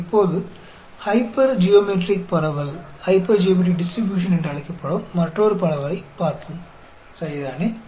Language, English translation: Tamil, Now, let us look at another distribution, that is called the hypergeometric distribution, ok